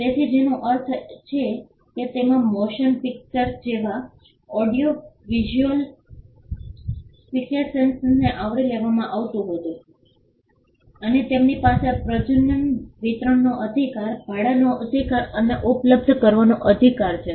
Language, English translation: Gujarati, So, which means it does not cover audio visual fixations such as motion pictures and they have a right of reproduction, right of a distribution, right of rental and right of making available